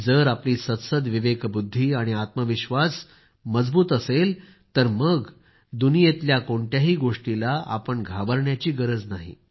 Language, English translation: Marathi, If your conscience and self confidence is unshakeable, you need not fear anything in the world